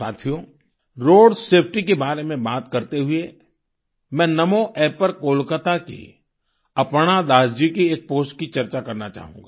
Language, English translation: Hindi, whilst speaking about Road safety, I would like to mention a post received on NaMo app from Aparna Das ji of Kolkata